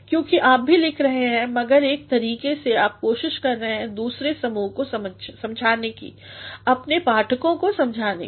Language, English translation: Hindi, Because even you are writing but in a way you are trying to convince the other party, convince your readers